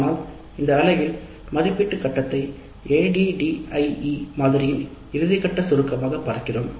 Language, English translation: Tamil, But in this unit we are looking at the evaluate phase as the summative final phase of the ADD model